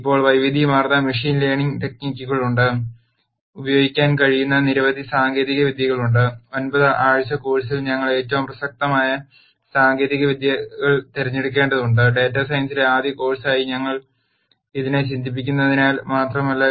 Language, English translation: Malayalam, Now, there are a wide variety of machine learning techniques there are a number of techniques that could be used and in a nine week course we have to pick the techniques that are most relevant, not only that since we think of this as a first course in data science